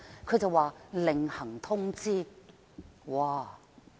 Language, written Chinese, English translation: Cantonese, 它說另行通知。, It reads to be notified